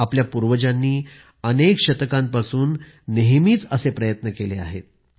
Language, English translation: Marathi, Our ancestors have made these efforts incessantly for centuries